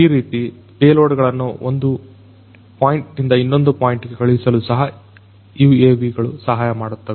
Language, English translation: Kannada, Like this the UAVs can also help in sending payloads from one point to another